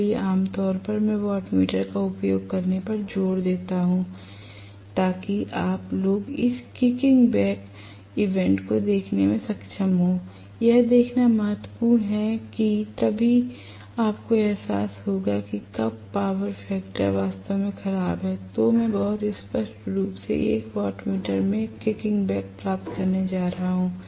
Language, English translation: Hindi, So, generally I insist on using to wattmeter so that you guys are able to see these kicking back phenomena, it is important to see that only then you are going to realize that when the power factor is really bad I am going to get very clearly a kicking back in 1 of the wattmeter